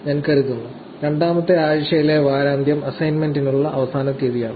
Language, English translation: Malayalam, So, I think, the weekend of the week 2 is the deadline for the assignment 1